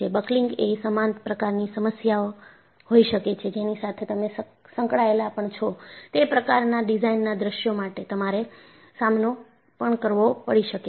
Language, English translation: Gujarati, Buckling could be equally a challenging problem that, you may have to deal with for the kind of design scenario, you are involved with